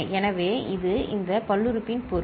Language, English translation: Tamil, So, this is the meaning of this polynomial